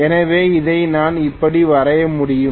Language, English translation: Tamil, So I should be able to draw it like this, okay